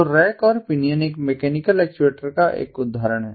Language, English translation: Hindi, so rack and pinion is an example of a mechanical actuator